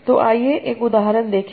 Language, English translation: Hindi, So let's see one example